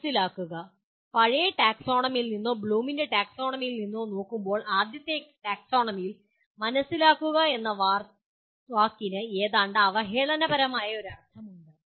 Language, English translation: Malayalam, Understand, now there is also when you look from the old taxonomy or Bloom’s taxonomy, the first taxonomy, understand is a word is almost has a derogatory meaning